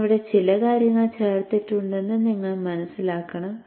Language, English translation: Malayalam, You should understand that I have added some things here